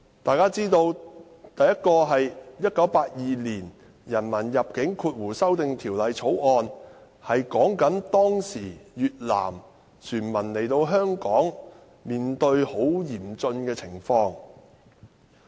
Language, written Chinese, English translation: Cantonese, 第一項是《1982年人民入境條例草案》，關於當時越南船民來香港後面對很嚴峻的情況。, The first one is the Immigration Amendment Bill 1982 which was about the harsh conditions faced by Vietnamese boat people after arriving in Hong Kong